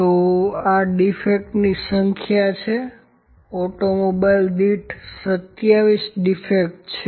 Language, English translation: Gujarati, So, these are the number of defects, 27 defects per automobile